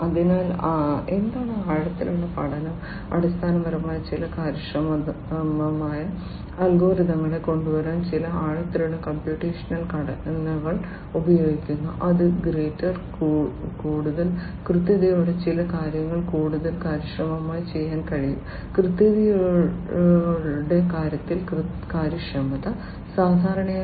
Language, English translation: Malayalam, So, what is you know so, deep learning is basically where some deep computational structures are used to come up with some efficient algorithms which can do certain things much more efficiently with grater greater accuracy; efficiency in terms of accuracy, typically